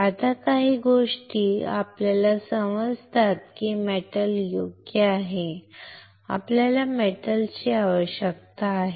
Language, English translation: Marathi, Now, certain things we understand is that the metal right, we need a metal